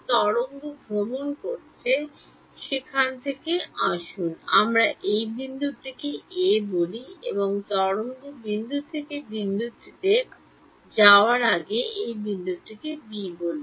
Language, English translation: Bengali, The wave is travelling from let us call this point ‘a’ and let us call this point ‘b’ before the wave travels from point a to point b